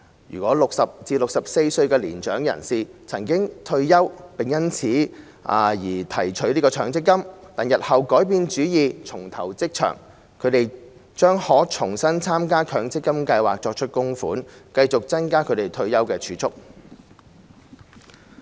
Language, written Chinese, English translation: Cantonese, 如果60歲至64歲的年長人士曾退休並因此而提取強積金，但日後改變主意重投職場，他們將可重新參加強積金計劃作出供款，繼續增加其退休儲蓄。, For mature persons aged between 60 and 64 who have retired and withdrawn their MPF benefits on this ground before if they change their mind and take up employment again in future they can join an MPF scheme again and make contributions to it so as to continuously build up their savings for retirement